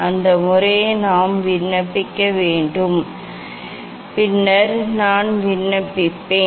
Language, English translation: Tamil, that method we have to apply so that, I will apply later on